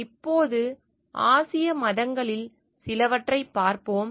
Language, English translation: Tamil, Now, let us look into some of the Asian religions